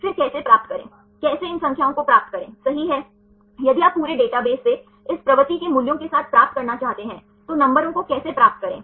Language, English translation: Hindi, Then how to derive, how to get these numbers right if you want to derive with this propensity values from the whole database right, how to get the numbers